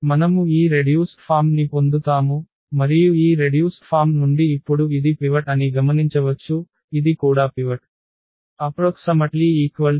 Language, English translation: Telugu, So, we will get this reduced form, and from this reduced form we will now observe that this is the pivot here this is also the pivot